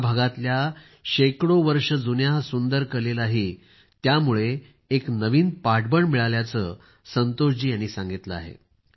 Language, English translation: Marathi, Santosh ji also narrated that with this the hundreds of years old beautiful art of this region has received a new strength